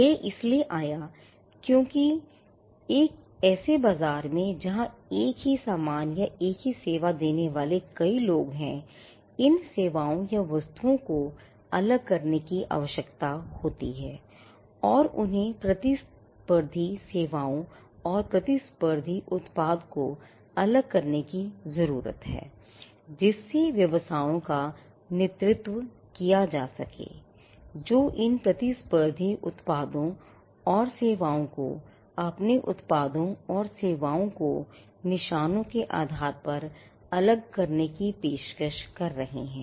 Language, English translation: Hindi, So, this came about because, in a marketplace where there are multiple people offering the same goods or the same service, there is a need to distinguish these services or goods and they need to distinguish competitive services and competitive product, led to the businesses, who are offering these competitive products and services to distinguish their products and services by way of marks